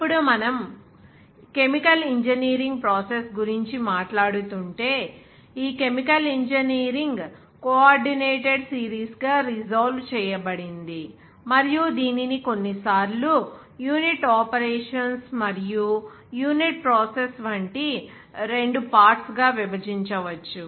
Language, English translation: Telugu, Now, if we are talking about that chemical engineering process, this chemical engineering, resolve into a coordinated series, of like sometimes it can be divided into two parts like unit operations and unit process